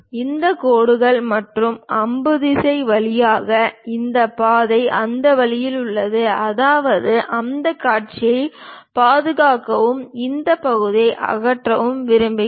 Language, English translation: Tamil, This pass through these lines and arrow direction is in that way; that means we want to preserve that view and remove this part